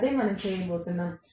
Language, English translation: Telugu, That is what we are going to do